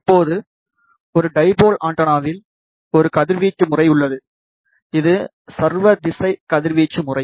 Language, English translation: Tamil, Now, we have covered that a dipole antenna has a radiation pattern, which is omni directional radiation pattern